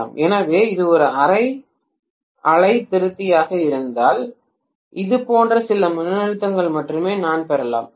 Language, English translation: Tamil, So if it is a half wave rectifier I may get only some voltage like this, right